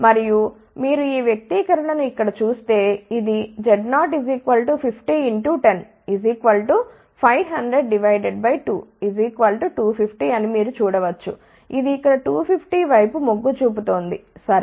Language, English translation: Telugu, And, if you look at this expression over here you can see that this is Z 0 which is 50 into 10 that will be 500 divided by 2 that is 250 it is tending towards 250 here ok